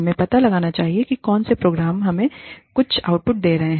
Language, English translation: Hindi, We must find out, which programs are getting us, some output